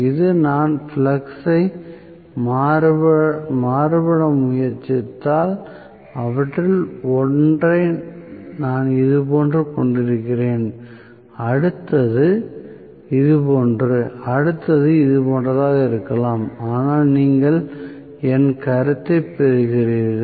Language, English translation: Tamil, Now, if I try to vary the flux I am going to have probably one of them somewhat like this the next one some of like this, the next one may be like this and so on so are you getting my point